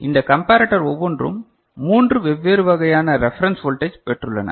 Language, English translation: Tamil, And each of this comparator has got 3 different kind of reference voltages ok